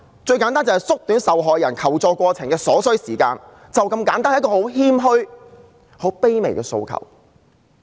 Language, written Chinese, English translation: Cantonese, 最簡單要做到縮短受害人求助過程所需的時間，便是這麼簡單，是很謙虛和卑微的訴求。, To say the least it should be able to shorten the time it takes for the victim to seek help . Thats it . It is such a modest and humble aspiration